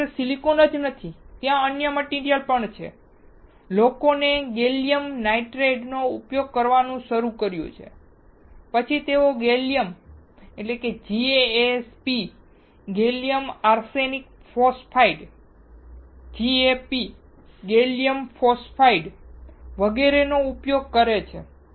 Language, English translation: Gujarati, It is not only silicon, there are other materials as well, people have started using gallium nitrate, then they are using gallium GaAsP, gallium arsenide phosphide, GaP gallium phosphide etc